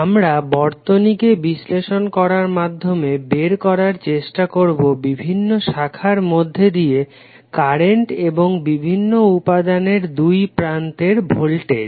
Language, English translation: Bengali, We will try to analysis the circuit and try to find out the currents which are there in the various branches of the network and the voltage across the components